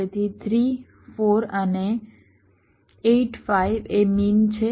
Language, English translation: Gujarati, so three, four and eight, five are the mean